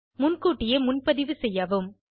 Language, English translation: Tamil, Please book in advance